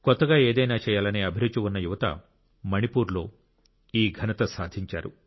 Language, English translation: Telugu, Youths filled with passion to do something new have demonstrated this feat in Manipur